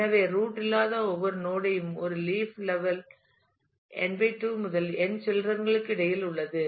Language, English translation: Tamil, So, each node that is not a root is a leaf level has between n / 2 to n children